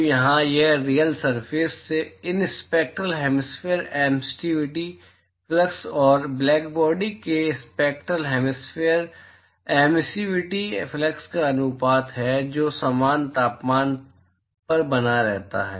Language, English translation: Hindi, So, here it is the ratio of these spectral hemispherical emissive flux from the real surface and the spectral hemispherical emissive flux from the blackbody which is maintained at the same temperature